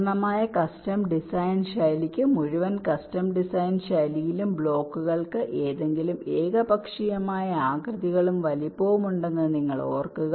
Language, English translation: Malayalam, ah, for the full custom design style, you recall, in the full custom design style the blocks can have any arbitrate shapes and sizes